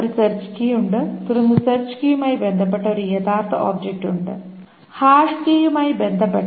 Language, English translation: Malayalam, There is a search key and then there is an actual object corresponding to the search key, corresponding to the hash key